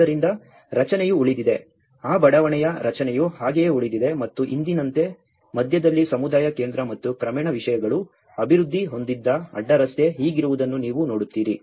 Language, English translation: Kannada, So, that the structure remained, the structure of that layout remained as it is and like now today, you see that the crossroad is like this where the community center in the center and gradually things have developed later on